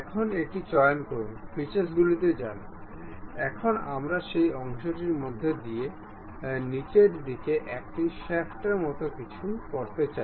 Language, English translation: Bengali, Now, pick this one, go to features; now we would like to have something like a shaft passing through that portion into bottoms side